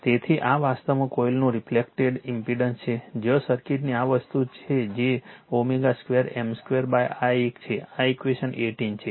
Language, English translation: Gujarati, So, this is actually reflected impedance of your coil where is your this thing of the circuit that is omega square M square upon this one this is equation 18 right